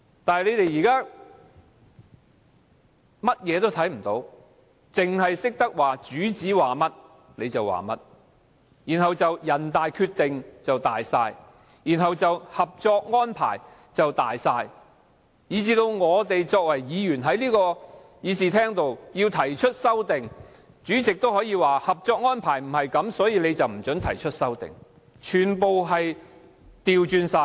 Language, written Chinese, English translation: Cantonese, 但是，他們現在甚麼也看不到，只懂得按照主子的說話辦事，人大決定大於一切，《合作安排》大於一切，甚至議員要提出修正案，主席也可以不符合《合作安排》為理由不准提出，完全倒行逆施。, However they only know to act as instructed by their masters and turn a blind eye to everything else . The Decision of NPCSC and the Co - operation Arrangement override all . The President ruled amendments proposed by Members inadmissible on the ground of inconsistency with the Co - operation Arrangement